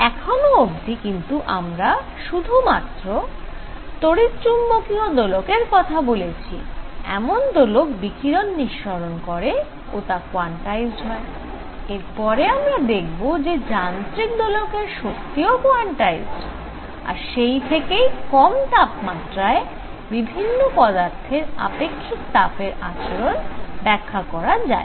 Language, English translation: Bengali, So, far we have said only electromagnetic oscillators, those oscillators that are giving out radiation are quantized, we will see that mechanical oscillators will also be quantized and they explain the behavior of specific heat of solids at low temperatures